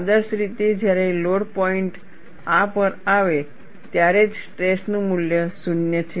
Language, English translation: Gujarati, Ideally, only when the load point comes to this, the value of stress is 0